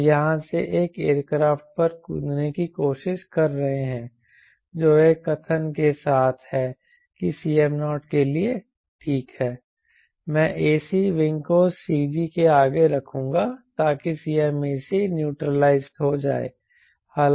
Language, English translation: Hindi, we are trying to jump from here to an aircraft within a statement that ok, for c m naught, i will put ac of the wing ahead of cg so that cm ac is neutralized